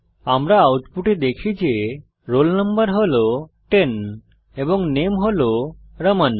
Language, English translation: Bengali, We see in the output that the roll number value is ten and name is Raman